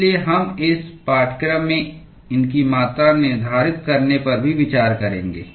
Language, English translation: Hindi, So, we will also look at quantifying these as well in this course